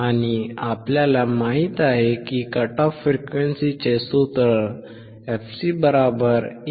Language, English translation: Marathi, And we know that the cut off frequency formula is 1/